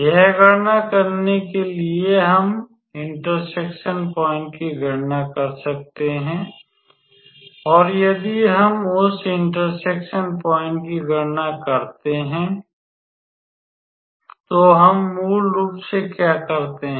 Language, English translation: Hindi, So to calculate that we can calculate this point of intersection and if we calculate that point of intersection, so, what we basically do